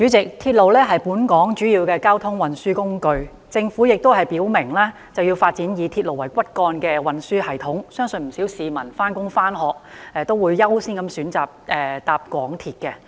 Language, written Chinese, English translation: Cantonese, 主席，鐵路是本港主要的交通運輸工具，政府亦已表明要發展以鐵路為骨幹的運輸系統，相信不少上班和上學的市民均會優先選擇乘搭港鐵。, President railway is a major transport mode in Hong Kong . The Government has made it clear that it will develop a transport system that uses railway as the backbone . I believe many people will choose MTR as their first choice of transport to work or school